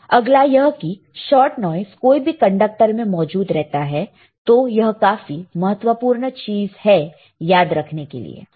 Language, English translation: Hindi, Next is shot noise is present in any conductor all right, shot noise is present in any conductors, so that is very important to remember